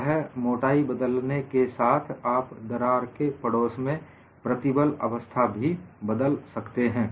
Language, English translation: Hindi, So, by varying the thickness, you are varying the stress state in the vicinity of the crack